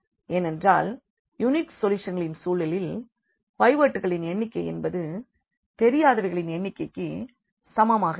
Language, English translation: Tamil, So, this is the case where we have infinitely many solutions because in the case of unique solutions the number of pivots will be equal to the number of unknowns